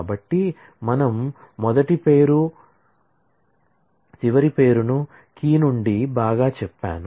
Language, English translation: Telugu, So, I say the first name last name together, from say, key well